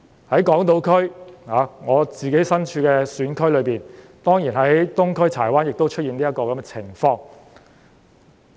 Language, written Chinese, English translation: Cantonese, 在港島，我的選區東區柴灣亦出現這種情況。, This has also happened to my constituency Chai Wan in Eastern District of Hong Kong Island